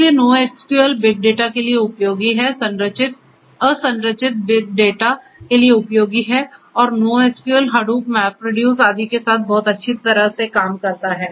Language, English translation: Hindi, So, NoSQL is useful for big data is useful for unstructured big data and so on and NoSQL works very well with Hadoop, MapReduce etcetera